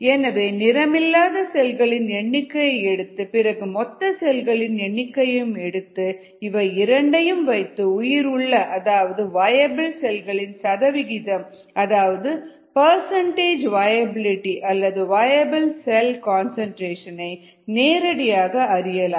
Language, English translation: Tamil, so by counting the number of cells that are not coloured and by counting total of cells you can have percentage viablity or the viable cell concentration it'self from direct measurements